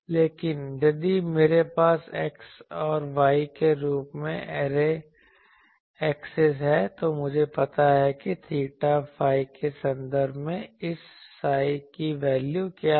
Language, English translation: Hindi, But, if I have the array axis as a particular x and y, then I know that what is the value of this psi in terms of theta phi